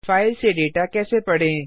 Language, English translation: Hindi, How to read data from a file